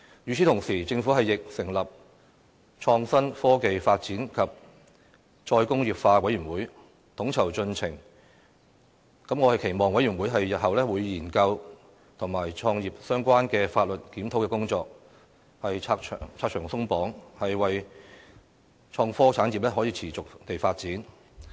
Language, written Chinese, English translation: Cantonese, 與此同時，政府亦成立創新、科技發展與"再工業化"委員會，統籌進程，我期望委員會日後會研究與產業相關的法律檢討工作，拆牆鬆綁，令創科產業可以持續地發展。, Besides the Government will also set up a committee on innovation and technology development and re - industrialization to coordinate the relevant development progress . I hope that the committee could study conducting legislative review on the industry in order to remove the unnecessary barriers thus enabling the sustainable development of the innovation and technology industry